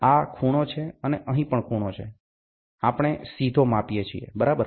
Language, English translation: Gujarati, This is the angle, and here is also the angle, we directly measure, ok